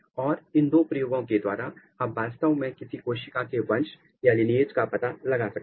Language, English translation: Hindi, And, these two experiments using these two experiment you can actually trace out the lineage of a particular cell